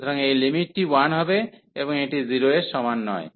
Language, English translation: Bengali, So, this limit is coming to be 1, and which is not equal to 0